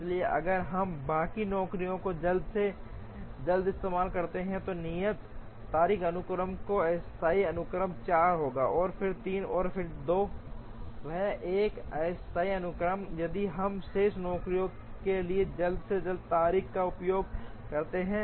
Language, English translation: Hindi, So, if we look at the rest of the jobs using an earliest due date sequence, then the tentative sequence will be 4, then 3, and then 2, that is a tentative sequence, if we use earliest due date for the remaining jobs